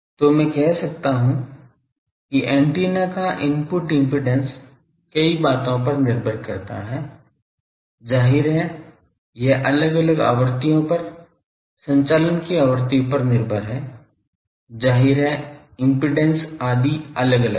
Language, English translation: Hindi, So, I can say that the input impedance of an antenna depends on several things on what first; obviously, it is dependent on frequency of operation at different frequencies obviously, impedances etc